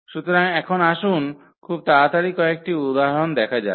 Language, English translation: Bengali, So, now let us just quickly go through some examples here